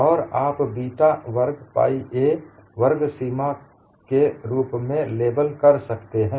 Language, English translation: Hindi, That would also be a non linear and you could label that as beta square pi a sigma square